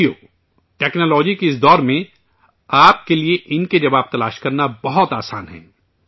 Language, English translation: Urdu, Friends, in this era of technology, it is very easy for you to find answers to these